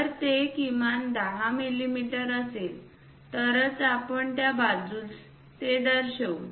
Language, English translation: Marathi, If it is minimum 10 mm then only we will show it in that side